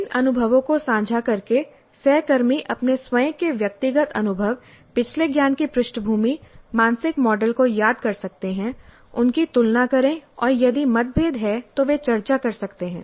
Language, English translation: Hindi, So by sharing these experiences, the peers can recall their own individual experiences, their own previous knowledge background, their own mental models, compare them and if there are differences they can discuss